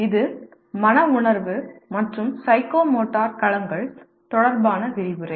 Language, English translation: Tamil, Understand the nature of psychomotor domain